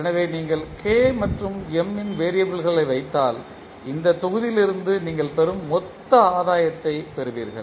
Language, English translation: Tamil, So, if you put the variables of K and M you will get the total gain which you will get from this block